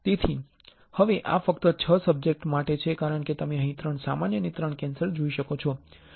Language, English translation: Gujarati, So, now this is only for 6 subjects as you can see here 3 normal and 3 cancer